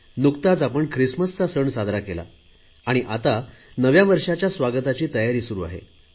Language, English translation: Marathi, We celebrated Christmas and preparations are now on to ring in the New Year